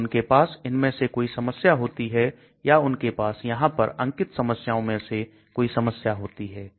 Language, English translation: Hindi, So they may be having one of these problems here or they be having one of the problems listed out in this